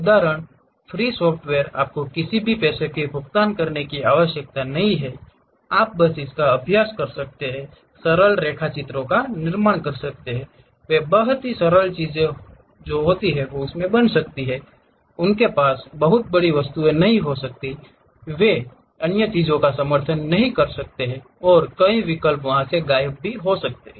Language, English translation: Hindi, Example free software you do not have to pay any money, you can just practice it, construct simple sketches, they might be very simple things, they might not have very big objects, they may not be supporting other things and many options might be missing, but still it is a good step to begin with that